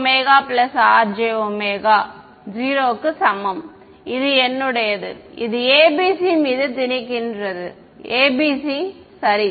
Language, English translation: Tamil, j omega plus R j omega equal to 0 that is my, this is imposing ABC on, just imposing the ABC ok